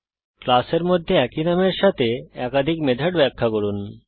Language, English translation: Bengali, Define two or more methods with same name within a class